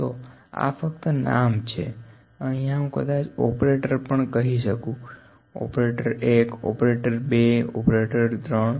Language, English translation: Gujarati, So, this is just the name example, here maybe I can say operator now, operator 1, operator 2, operator 3